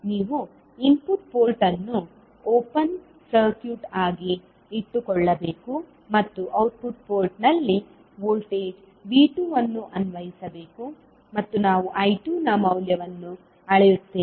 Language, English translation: Kannada, You have to keep input port as open circuit and apply voltage V2 across the output port and we measure the value of I2